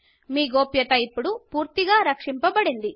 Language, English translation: Telugu, your privacy is now completely protected